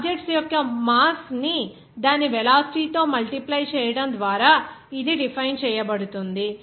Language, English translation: Telugu, It is defined by multiplying the mass of the objects by its velocity